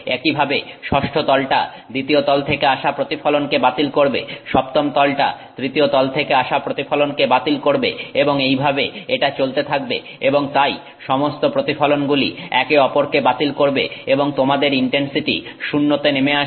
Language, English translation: Bengali, Similarly the sixth plane will cancel the reflection from the second plane, seventh plane will cancel the reflection from the third plane like that it will continue and therefore all the reflections will cancel each other out and your intensity drops to zero